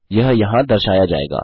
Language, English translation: Hindi, It will be displayed here